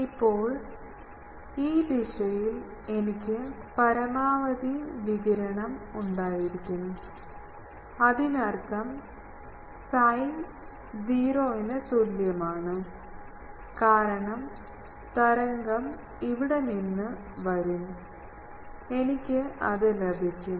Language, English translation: Malayalam, Now, I want that in this direction, I should have maximum radiation, in this direction; that means, that psi is equal to 0, because wave will come from here, I will get it